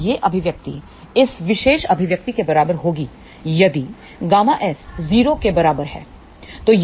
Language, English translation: Hindi, Now, this expression will be equivalent to this particular expression if gamma S is equal to 0